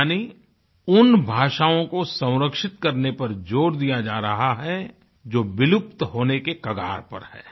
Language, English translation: Hindi, That means, efforts are being made to conserve those languages which are on the verge of extinction